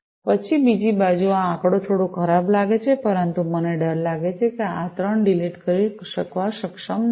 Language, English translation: Gujarati, Then on the other side this figure looks little ugly, but I am, you know, I am afraid that I am not able to delete these 3 lines